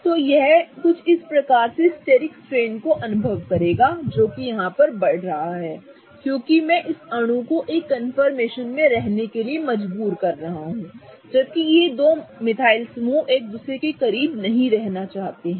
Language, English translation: Hindi, So, this would experience some kind of steric strain that will be rising because I'm kind of trying to force this molecule to be in a confirmation whereas these two methyl groups do not want to be very close to each other